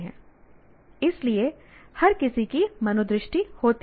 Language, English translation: Hindi, So, everybody has attitudes